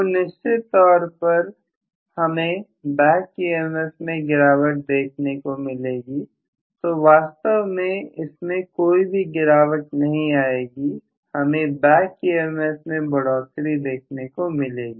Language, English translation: Hindi, I am definitely going to have a reduction in the back EMF as well so this actually will cause not reduction it will have an increase in the back EMF